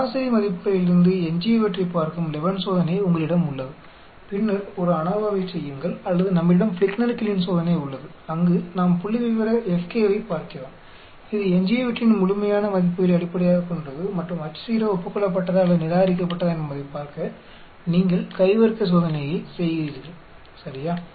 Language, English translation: Tamil, You have the Levene's test which is looking at the residuals from the average values and then perform an ANOVA or we have the Fligner Kiileen test where we are looking at the FK which is the statistic, this is based on the absolute values of the residuals and then you perform chi square distribution test to see whether the H naught is agreed or it is rejected, ok